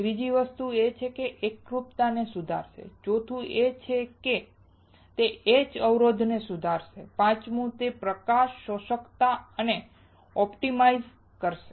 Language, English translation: Gujarati, Third is that it will improve the uniformity, fourth is that it will improve the etch resistance and fifth is it will optimize the light absorbance